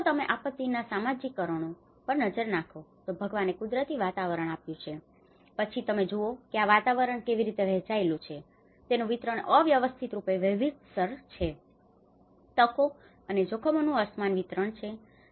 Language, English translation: Gujarati, If you look at the social causation of the disasters, God has given as a natural environment and then if you look at how this environment has been distributed, it is distributed, it is spatially varied; it is unequal distribution of opportunities and hazards